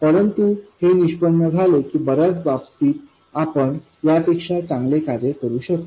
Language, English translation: Marathi, But it turns out that in most cases we can do better than this